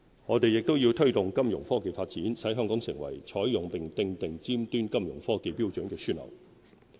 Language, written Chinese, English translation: Cantonese, 我們亦要推動金融科技發展，使香港成為採用並訂立尖端金融科技標準的樞紐。, We also need to promote the development of financial technologies Fintech to establish Hong Kong as a hub for the application and setting of standards for cutting - edge Fintech